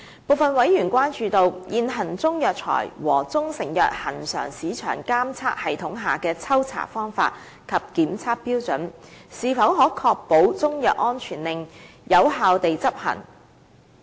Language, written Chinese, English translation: Cantonese, 部分委員關注，現行中藥材和中成藥恆常市場監測系統下的抽查方法和檢測標準，是否可確保中藥安全令有效地執行。, Some Members are concerned about whether the sample collection method and testing criteria of the existing routine market surveillance system to monitor the quality and safety of Chinese herbal medicines and proprietary Chinese medicines can ensure the effective enforcement of CMSO